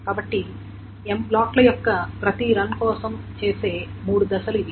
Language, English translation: Telugu, So these are the three steps that is done for each run of M blocks